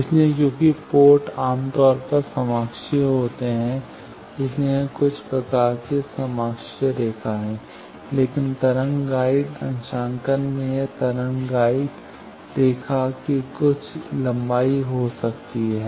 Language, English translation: Hindi, So, since the ports are coaxial generally , so it is some form of coaxial line, but in wave guide calibration is it can be some length of wave guide line